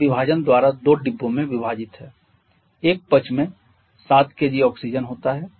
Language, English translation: Hindi, It is divided into two compartments by partition 1 side content 7 kg of oxygen